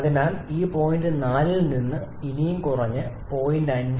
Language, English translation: Malayalam, So, there is a further drop from this point 4 to point 5